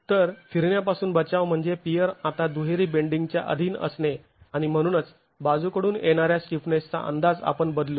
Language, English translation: Marathi, So, prevention of rotations would mean the peer is subjected to double bending now and therefore the estimate of lateral stiffness will change